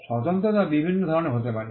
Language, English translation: Bengali, The distinctiveness can be of different types